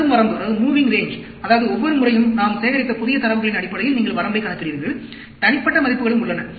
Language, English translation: Tamil, Moving range, that means, every time, you calculate the range based on the new set of data we have collected; individual values are also there